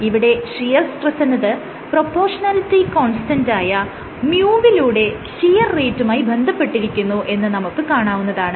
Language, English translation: Malayalam, It says that shear stress is related to shear rate, via this constant of proportionality mu, mu is called the viscosity